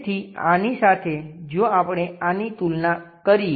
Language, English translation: Gujarati, So, compared to this if we are comparing this one